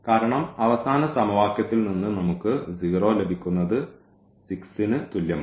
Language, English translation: Malayalam, Because from the last equation we are getting 0 is equal to minus 6